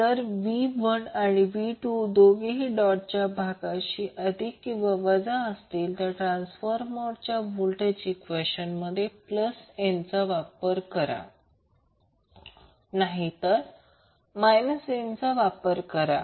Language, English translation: Marathi, If V 1 and V 2 are both positive or both negative at the dotted terminals then we will use plus n in the transformer voltage equation otherwise we will use minus n